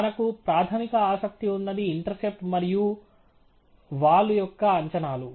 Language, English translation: Telugu, The primary interest for us is the estimates of the intercept and the slope